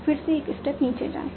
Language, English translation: Hindi, Go one step down